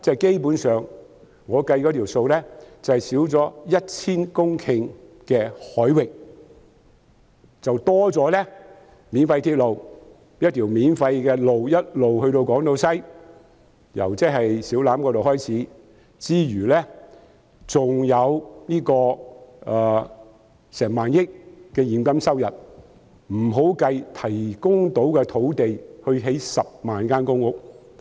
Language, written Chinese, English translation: Cantonese, 基本上，我們失去了 1,000 公頃的海域，便會增加免費鐵路、由小欖直通港島西的免費公路，還有1萬億元現金收入，這尚未計算提供可興建10萬間公屋的土地。, Basically at the expense of 1 000 hectares of waters we will get a free railway a free highway directly connecting Siu Lam and Hong Kong Island West and 1,000 billion cash income in return whereas the land for the construction of 100 000 public rental housing flats has yet to be included